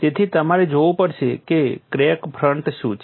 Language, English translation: Gujarati, So, you have to look at what is the crack front